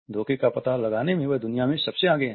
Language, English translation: Hindi, He is the world's foremost authority in deception detection